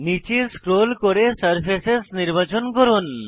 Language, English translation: Bengali, Scroll down and select Surfaces